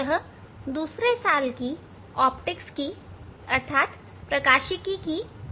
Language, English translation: Hindi, this is second year lab of optics